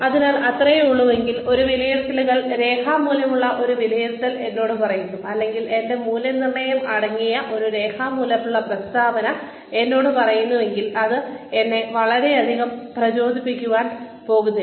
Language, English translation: Malayalam, And so, if that is all, that an appraisal, a physical face to face appraisal tells me, or a written statement containing my appraisal tells me, then that is not really going to motivate me very much